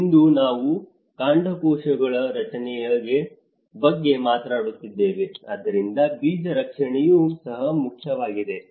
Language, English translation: Kannada, Today, we are talking about stem cells protection, so similarly the seed protection is also an important